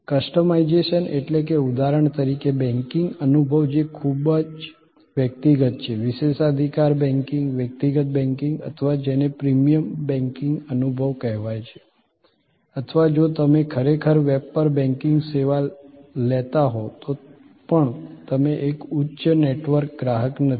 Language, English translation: Gujarati, Customization that means, you know you give the banking experience which is very personalized, privilege banking personal banking or what they call premier banking experience or if you are actually on the web then even a customer who is may not be a high network customer